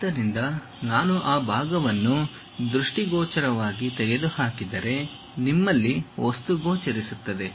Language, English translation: Kannada, So, if I remove that part visually, you have material which is visible here